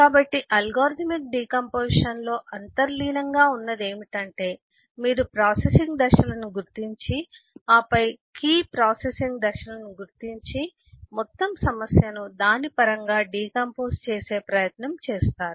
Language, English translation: Telugu, so what is inherent of algorithmic decomposition is you identify processing, then identify the key processing steps and try to decompose the whole problem in terms of it